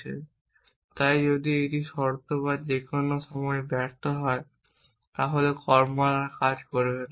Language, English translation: Bengali, It is in so if the condition fails any time then the action wills no longer work